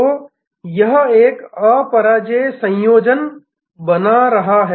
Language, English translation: Hindi, So, this is creating an unbeatable combination